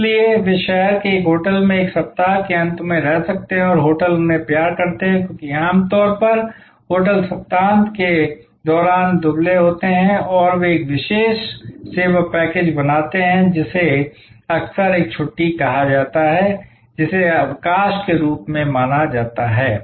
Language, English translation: Hindi, So, they may take a week end often stay in a hotel in the city and hotels love them, because normally hotels run lean during the weekends and they create a particular service package, which is often called a staycation that as suppose to vacation